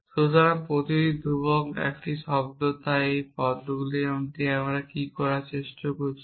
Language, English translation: Bengali, So, every constant is a term so what are these terms that we are talking about